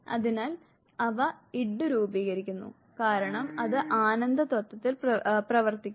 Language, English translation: Malayalam, So, they constitute the Id because it works on pleasure principle